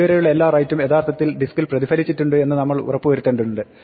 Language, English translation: Malayalam, We might just want to make sure that all writes up to this point have been actually reflected on the disk